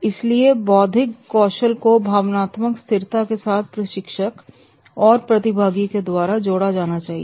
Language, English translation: Hindi, So, the intellectual skills are to be clubbed with the emotional stability and the trainer and trainees level both